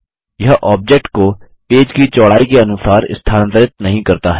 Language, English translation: Hindi, It does not move the object with respect to the page width